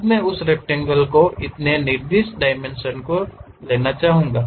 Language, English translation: Hindi, Now, I would like to have so and so specified dimensions of that rectangle